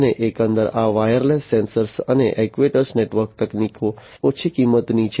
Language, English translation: Gujarati, And overall this wireless sensor and actuator network technologies are low cost right